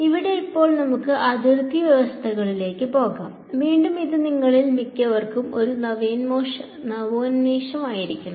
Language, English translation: Malayalam, So, now let us move on to Boundary Conditions, again this should be a refresher for most of you